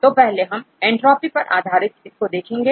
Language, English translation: Hindi, So, for first we do the entropy based score